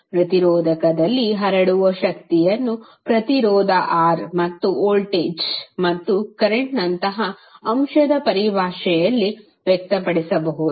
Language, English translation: Kannada, The power dissipated in resistor can be expressed in term of the element like resistance R and the voltage, and current